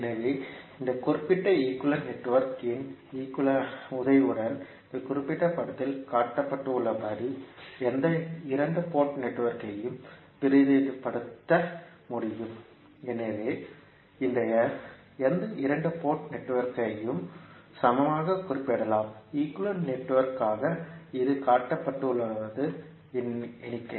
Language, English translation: Tamil, So, we can say the with the help of this particular equivalent network we can represent any two port network as shown in this particular figure so any two port network can be represented as a equivalent, as an equivalent network which would be represented like shown in the figure